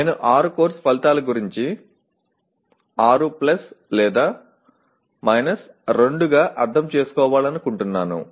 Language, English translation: Telugu, I would like to interpret this about 6 course outcomes as 6 + or – 2